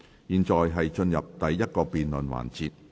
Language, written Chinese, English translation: Cantonese, 現在進入第一個辯論環節。, We now proceed to the first debate session